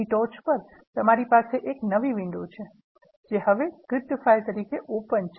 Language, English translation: Gujarati, On top of that, you have a new window, which is now being opened as a script file